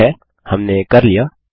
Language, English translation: Hindi, Okay, we are done